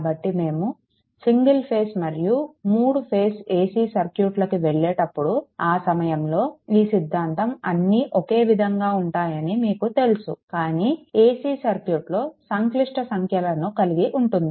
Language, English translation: Telugu, So, while we go for single phase as well as three phase ac circuits, at that time this you know this theorem all will remain same, but as AC a AC circuits complex number will be involved